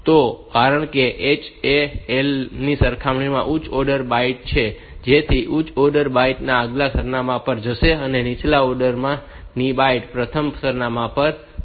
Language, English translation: Gujarati, So, since H is higher order byte compared to L so that higher order byte will go to the next address and the lower order byte will go to the first address